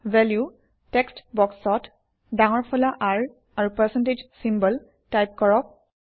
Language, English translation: Assamese, In the Value text box, let us type in capital R and a percentage symbol